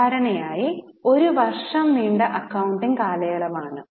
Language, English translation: Malayalam, Normally there is a one year accounting period